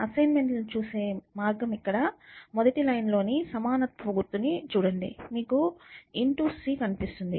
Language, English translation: Telugu, So, the way to look at assignments is look at the equality sign in the first line here, you see a star c